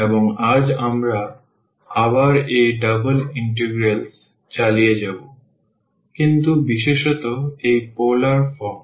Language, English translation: Bengali, And today we will again continue with this double integrals, but in particular this polar form